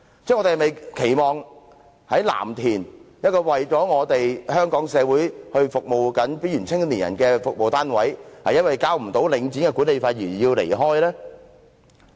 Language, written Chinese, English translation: Cantonese, 我們是否期望一個在藍田正為香港社會服務邊緣青年人的服務單位，因為無法繳交領展的管理費而要離開呢？, Do we expect to see a unit serving youth at risk in Lam Tin for the community of Hong Kong forced to move out because it cannot afford the management fees levied by Link REIT?